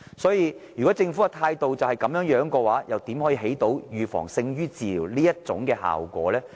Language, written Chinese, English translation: Cantonese, 因此，如果政府的態度是這樣的話，又如何達致預防勝於治療這效果呢？, However should the Government adopt such an attitude how can the effect of taking preventive measures be achieved even though it is better than cure?